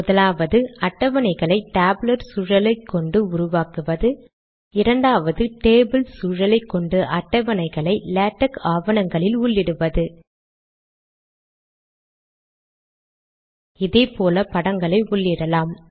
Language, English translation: Tamil, The first is to explain how to create tables using the tabular environment the second objective is to explain how to include tables in latex documents using the table environment